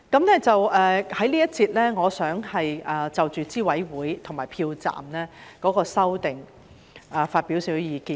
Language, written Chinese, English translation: Cantonese, 我在這一節想就着候選人資格審查委員會和票站的修訂發表一些意見。, In this session I would like to express my views on the Candidate Eligibility Review Committee CERC and the amendments concerning polling stations